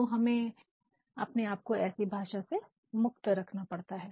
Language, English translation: Hindi, So, we have to free ourselves from the use of such language